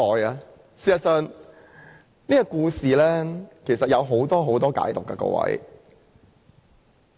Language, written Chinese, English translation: Cantonese, 各位，事實上，這個故事有很多不同的解讀。, Honourable Members in fact the story has many different interpretations